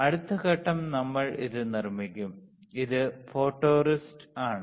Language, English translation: Malayalam, Next step is we will make it, this is photoresist